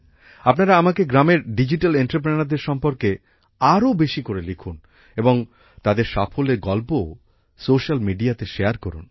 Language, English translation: Bengali, Do write to me as much as you can about the Digital Entrepreneurs of the villages, and also share their success stories on social media